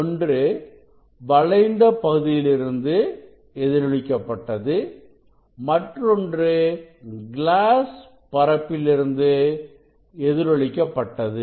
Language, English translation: Tamil, this reflected from the curved surface, after that reflected from the glass surface